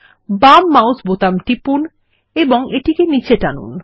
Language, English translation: Bengali, Press the left mouse button and drag it down